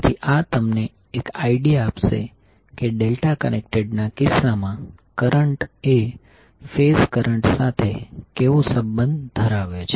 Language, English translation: Gujarati, So this will give you an idea that how the current in case of delta connected will be having relationship with respect to the phase currents